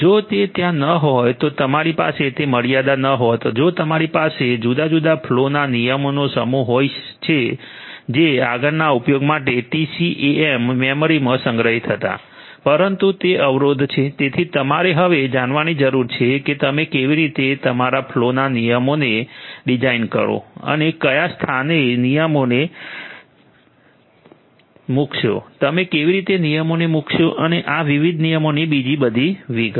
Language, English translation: Gujarati, If that was not there you could have if that constant was not there you could have a bunch of different flow rules all being stored in the TCAM memory for further use, but because that constant is there you need to now know how you are going to design your flow rules, where you are going to place, how you are going to place and so on of these different rules